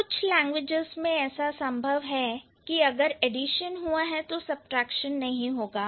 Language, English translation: Hindi, Some languages might have where they have addition but no subtraction